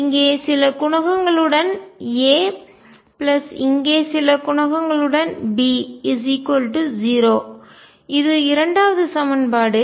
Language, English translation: Tamil, With some coefficient here A, plus some coefficients here B equals 0 that is the second equation